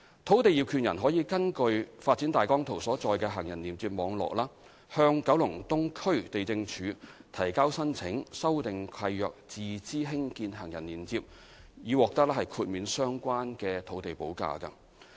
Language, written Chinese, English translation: Cantonese, 土地業權人可根據發展大綱圖所載的行人連接網絡，向九龍東區地政處提交申請修訂契約自資興建行人連接，以獲豁免相關的土地補價。, Private landowners may refer to the planned pedestrian link network shown on ODP and submit applications to the District Lands OfficeKowloon East for lease modification to construct pedestrian links at their own costs and for waiving of the relevant land premium